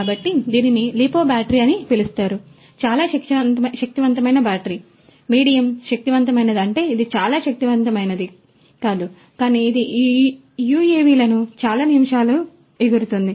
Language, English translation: Telugu, So, this is known as the lipo battery, this is a very powerful battery, you know medium powerful I mean it is not extremely powerful, but you know it can make these UAVs fly for several minutes